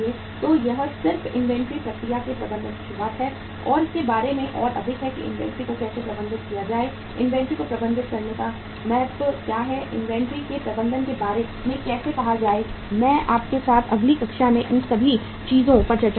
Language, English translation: Hindi, So this is just beginning of the management of inventory process and more about it that how to manage inventory, what is the importance of managing inventory, how to go ahead about uh say management of inventory I will discuss with you all these things in the next class